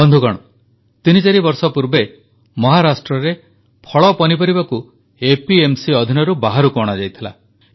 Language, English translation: Odia, Friends, about three or four years ago fruits and vegetables were excluded from the purview of APMC in Maharashtra